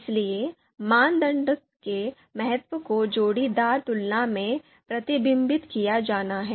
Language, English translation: Hindi, So importance of the criteria has to be reflected in pairwise comparisons, so that this we will see